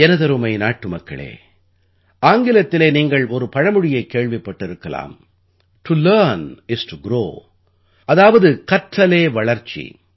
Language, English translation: Tamil, My dear countrymen, you must have heard of an English adage "To learn is to grow" that is to learn is to progress